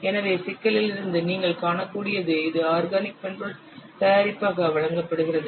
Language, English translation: Tamil, So as you can see from the problem, it is given as organic software product